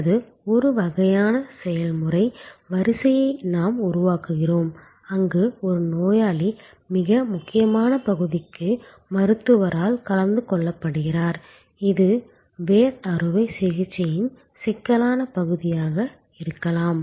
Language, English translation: Tamil, Or we create some kind of an process line, where while one patient is being attended by the doctor for the most critical part, which may be the intricate part of the root canal operation